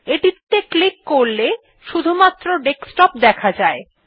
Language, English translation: Bengali, If we click on it, it shows only the Desktop